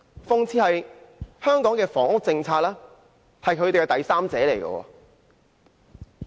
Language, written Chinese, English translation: Cantonese, 諷刺的是，香港的房屋政策就是他們的第三者。, Ironically the housing policy of Hong Kong was the intruder of their relationship